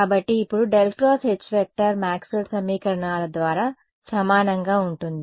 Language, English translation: Telugu, So, now, curl of H by Maxwell’s equations is going to be equal to